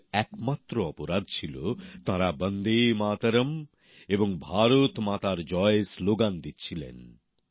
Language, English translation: Bengali, Their only crime was that they were raising the slogan of 'Vande Matram' and 'Bharat Mata Ki Jai'